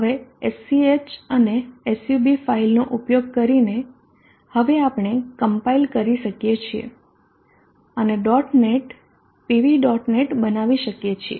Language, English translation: Gujarati, Now using the SCH and SUB file we can now compile and create a dot net PV dot net